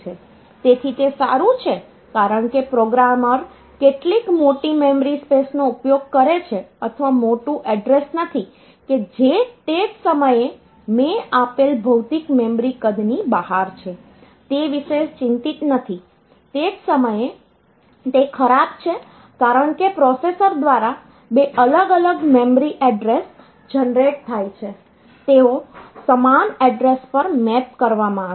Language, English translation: Gujarati, So, it may be good maybe bad it is good because the programmer may not be concerned about whether using some larger memory space or not larger address or not which is beyond the I given physical memory size at the same time it is bad because of the same reason that two different memory addresses generated by the processor they are getting mapped onto the same address